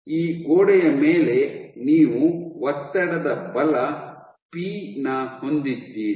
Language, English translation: Kannada, So, on this wall you have a pressure force p